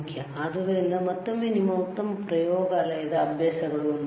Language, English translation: Kannada, So, again a part of your good laboratory practices, cool, all right